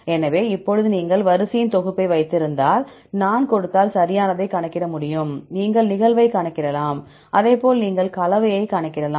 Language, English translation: Tamil, So, now, if you have set of sequence, if I give you can calculate right, you can calculate the occurrence, as well as you can calculate the composition